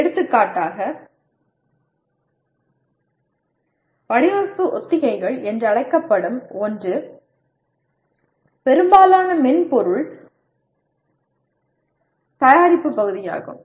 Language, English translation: Tamil, For example something called design walkthroughs is a part of most of the software product development these days